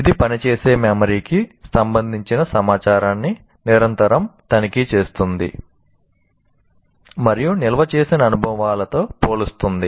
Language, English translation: Telugu, It constantly checks information related to working memory and compares it with the stored experiences